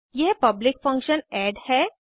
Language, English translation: Hindi, This is a public function add